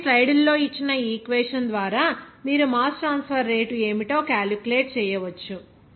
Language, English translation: Telugu, So, by this equation given in the slide, you can calculate what would be the mass transfer rate